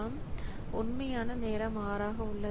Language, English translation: Tamil, So, so the actual time it took is 6